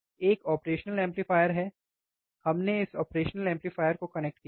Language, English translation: Hindi, And there are there is a operational amplifier, we have connected this operational amplifier